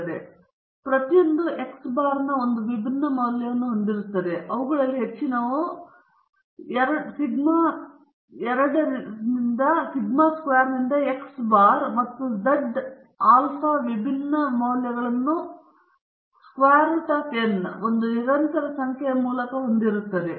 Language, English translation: Kannada, So each will have a different value of x bar or most of them will have different values of x bar and z alpha by 2 sigma by root n is a constant number